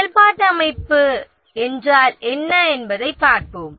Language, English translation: Tamil, We will look at what is meant by functional organization